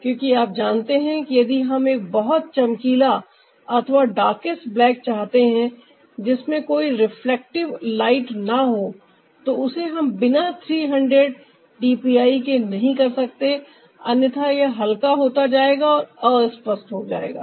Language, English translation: Hindi, because you know, if we want a very ah, bright ah, or maybe the darkest black with no reflective light, then we cannot do without this three hundred d p i, otherwise it'll look faded and unclear